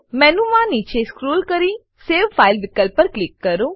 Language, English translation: Gujarati, Scroll down the menu and click on save file option